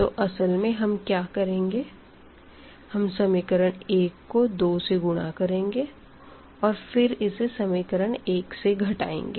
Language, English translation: Hindi, So, what we are supposed to do actually that if you multiply this equation 1 by 2 and then subtract this equation from this equation number 2